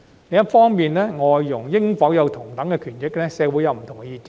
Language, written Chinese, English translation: Cantonese, 另一方面，對於外傭應否享有同等權益，社會有不同的意見。, Besides the community has divergent views about whether FDHs should enjoy equal entitlements